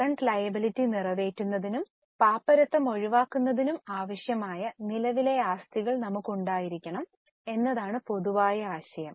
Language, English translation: Malayalam, General idea is we should have enough of current assets to meet the current liabilities and avoid any default or bankruptcy